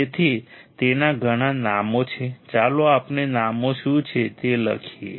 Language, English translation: Gujarati, So, it has lot of names what are the names let us write down